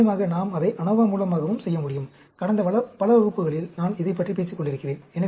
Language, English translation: Tamil, Of course, we can do it through it ANOVA also, as I have been talking about it in the past so many classes